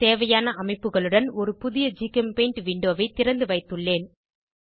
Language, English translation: Tamil, I have opened a new GChemPaint window with the required structures